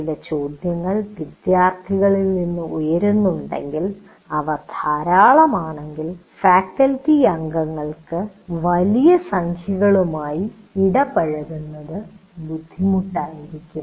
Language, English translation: Malayalam, If there are some questions students are raising and if there are plenty then it will be difficult for faculty member to interact with large numbers